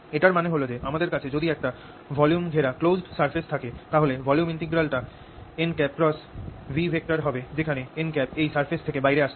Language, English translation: Bengali, so what this means is that if i have a closed surface enclosing a volume, this volume integral is equal to n cross v, where n is coming out of the surface, over this surface